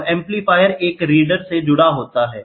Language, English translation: Hindi, And from the amplifier we connected to a reader whatever it is